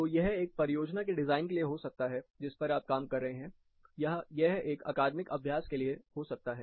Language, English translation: Hindi, So, it can be for a project design that you are working on or it can be for an academic exercise